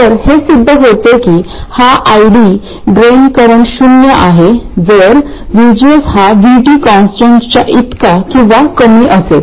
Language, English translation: Marathi, Okay it turns out that this ID, the drain current is 0 if VGS is less than or equal to some constant called VT